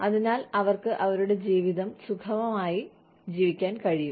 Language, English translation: Malayalam, So, that they are able to live their lives, comfortably